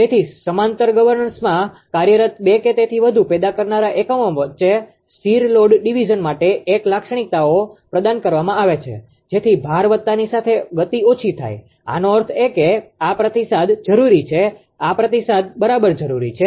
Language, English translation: Gujarati, So, for stable load division between two or more generating units operating in parallel the governors are provided with a characteristics so that the speed drops as the load is increased; that means, this this ah feedback is required this feedback is required right